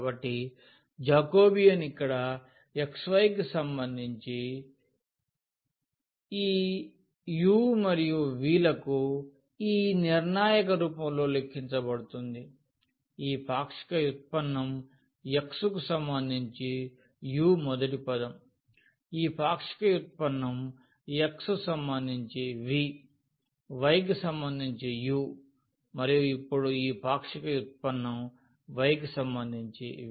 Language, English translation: Telugu, So, Jacobian here x y with respect to this u and v which is computed as in the form of this determinant; so the partial derivative of this x with respect to u the first term, here the partial derivative of x with respect to v, now for the y with respect to u and this partial derivative y with respect to v